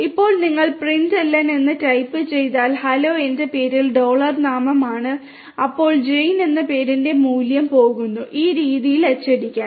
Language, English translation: Malayalam, Now if you type in println hello my name is dollar name then the value of name which is Jane is going to be printed in this manner